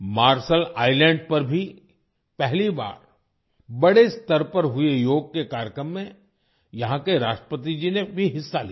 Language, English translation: Hindi, The President of Marshall Islands also participated in the Yoga Day program organized there on a large scale for the first time